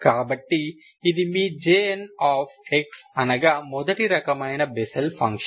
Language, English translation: Telugu, So this is what is your J n, Bessel function of first kind